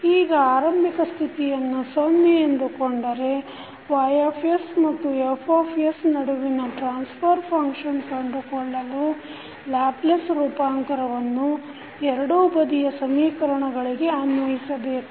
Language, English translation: Kannada, Now, if you consider the zero initial conditions the transfer function that is between y s and f s can be obtained by taking the Laplace transform on both sides of the equation with zero initial conditions